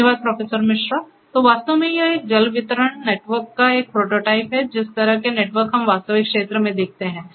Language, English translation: Hindi, Thank you Professor Misra, So, actually this is a prototype of a water distribution network, the kind of networks that we see in the real field